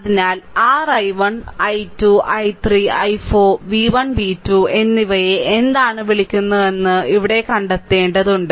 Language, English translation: Malayalam, So, here you have to find out that what is your what you call that your i 1 i 2 i 3 i 4 and v 1 and v 2